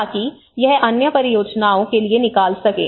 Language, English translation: Hindi, So that it can take out to other projects you know